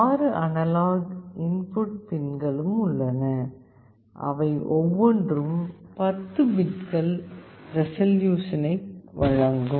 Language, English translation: Tamil, There are also 6 analog input pins, each of which provide 10 bits of resolution